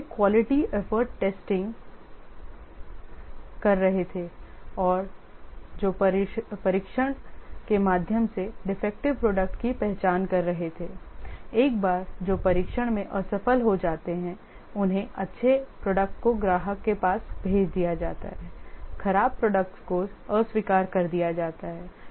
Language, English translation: Hindi, The initial quality efforts were testing that is identifying the defective products through testing, the ones that which fail the test are rejected, good products are passed to the customer, bad products are rejected